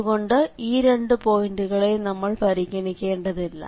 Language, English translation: Malayalam, So therefore, these two will not be considered